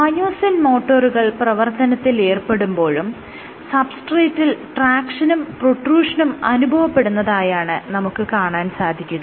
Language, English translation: Malayalam, Even when myosin motors are pulling on it, what you will have is tractions on the substrate and plus you will have protrusion